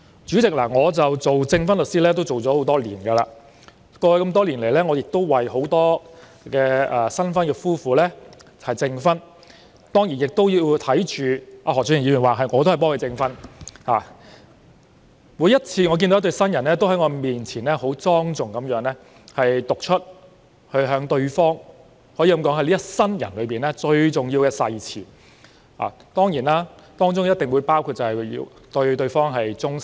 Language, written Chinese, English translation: Cantonese, 主席，我當了證婚律師多年，過去多年曾為很多新婚夫婦證婚——何俊賢議員說他也是由我證婚的——每次也看到一對對新人，在我面前莊重地向對方讀出可說是一生中最重要的誓詞，而誓詞中必定包括要對對方忠誠。, President I have been a lawyer serving as a marriage celebrant for years and have witnessed the weddings of many newly - wed couples over the past years―Mr Steven HO said his wedding was also witnessed by me―newly - wed couples stood in front of me and read the most important oath in their life solemnly to each other and the oath content must include being faithful to each other